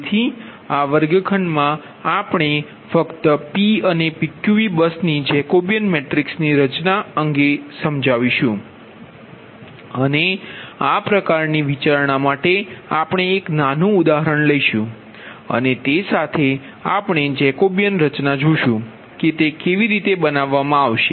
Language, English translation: Gujarati, regarding the formation of jacobian matrix for this kind of ah consideration of p and pqv bus, we will take a small example and with that we will see that jacobian will be form right